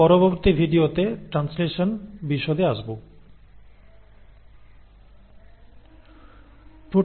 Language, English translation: Bengali, In the next video we will talk about translation